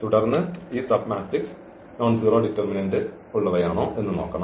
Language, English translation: Malayalam, So, we have to see now this submatrix with nonzero determinant